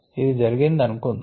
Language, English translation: Telugu, ok, let us say that this happened